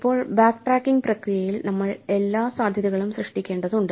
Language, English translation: Malayalam, Now, in the process of doing the backtracking we need to generate all the possibilities